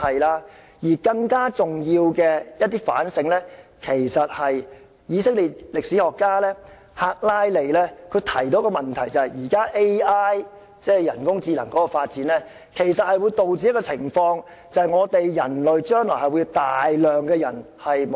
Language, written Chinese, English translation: Cantonese, 另外，更加重要的反省是以色列的歷史學家赫拉利提出的問題，就是現時 AI 的發展，將會導致大量失業人口出現。, Moreover it is even more important to ponder over the question raised by Israeli historian HARARI that is the current development of artificial intelligence will give rise to massive unemployment